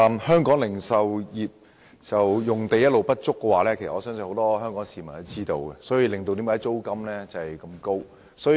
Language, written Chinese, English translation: Cantonese, 香港零售業用地一直不足，相信很多香港市民也知道，而這亦導致租金高昂。, As many people in Hong Kong are well aware the supply of land for retail businesses has all along been very tight in Hong Kong and this is a factor behind the problem of soaring rents